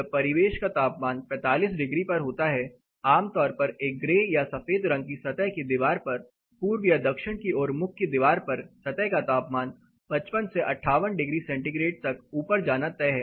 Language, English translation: Hindi, So, the surface gets pretty hot, when ambient temperature is 45 degrees on a say typically a grey or white colors surfaced all even the surface temperature in a east or south facing wall during summer is bound to go up has highest 55 to 58 degree centigrade